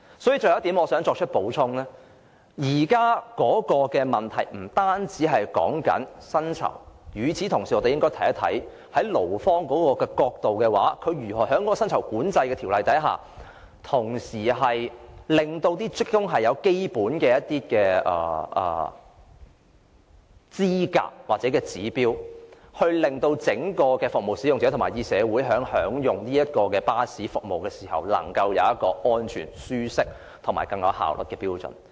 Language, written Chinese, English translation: Cantonese, 所以，我想補充的最後一點是，現在的問題不單在於薪酬，而是我們應該同時看一看，從勞方的角度來說，如何在賺取利潤的同時，令職工具備基本的資格或符合指標，令服務使用者和整個社會享用巴士服務時，能夠有一個安全、舒適和更有效率的標準。, Therefore I wish to add one last point . The problem now is not only about salaries . Rather we should at the same time review from the perspective of the employees how the company can in the course of making profits enable its employees to meet the basic requirements or standards so that service users and the community at large can enjoy bus services of a standard that ensures safety comfort and greater efficiency